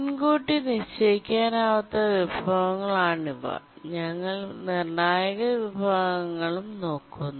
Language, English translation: Malayalam, These are the non preemptible resources and also we'll look at the critical sections